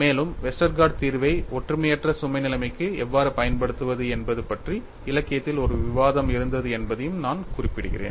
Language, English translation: Tamil, And I also mention, there was a debate in the literature how to use Westergaard solution for uniaxial loaded situation